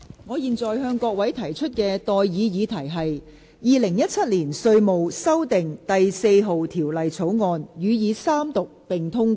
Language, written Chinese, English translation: Cantonese, 我現在向各位提出的待議議題是：《2017年稅務條例草案》予以三讀並通過。, I now propose the question to you and that is That the Inland Revenue Amendment No . 4 Bill 2017 be read the Third time and do pass